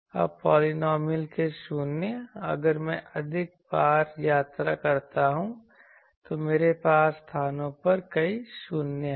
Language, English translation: Hindi, Now, 0s of the polynomial that if I have more than more times I travel it so, I have multiple 0s at places